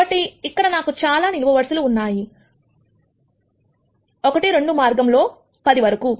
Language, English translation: Telugu, So, while I have many many columns here, 1 2 all the way up to 10